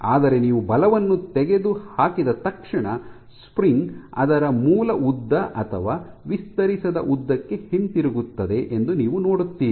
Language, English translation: Kannada, But as soon as you remove the force you see that the spring goes back to its original length or unstretched length